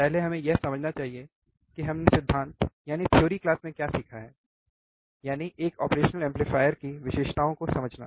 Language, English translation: Hindi, First we should start understanding what we have learned in the theory class; that is, understanding the characteristics of an operational amplifier